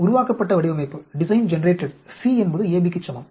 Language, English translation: Tamil, Design generated is C is equal to AB